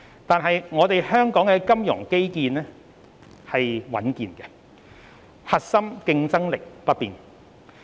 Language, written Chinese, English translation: Cantonese, 然而，香港的金融基礎穩健，核心競爭力不變。, Notwithstanding the above Hong Kongs underlying fundamentals remain strong and the core competitiveness remains unchanged